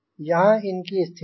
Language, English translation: Hindi, so this is the situation